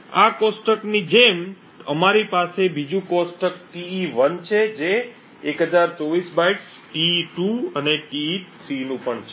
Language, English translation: Gujarati, Similar to this table we have the 2nd table Te1 which is also of 1024 bytes, Te2 and Te3